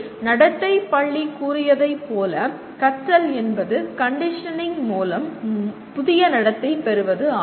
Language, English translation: Tamil, And here the school of behaviorism stated learning is the acquisition of new behavior through conditioning